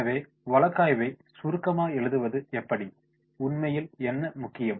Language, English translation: Tamil, So, how to make the summarising, what is really important